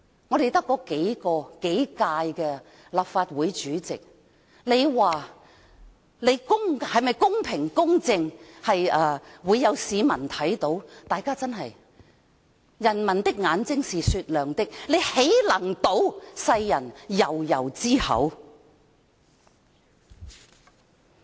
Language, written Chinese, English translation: Cantonese, 我們只有數屆立法會主席，大家說：哪位主席是公平、公正的，會有市民看到，人民的眼睛是雪亮的，他豈能堵世人悠悠之口？, So far we only have a few Legislative Council Presidents and people can tell which are fair and impartial they can observe with their eyes . People are sharp - eyed and how can they be prevented from passing on their judgment?